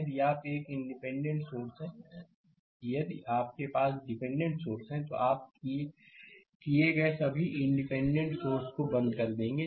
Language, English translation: Hindi, If you are a dependent sources look if you have dependent sources, you will turn off all independent sources done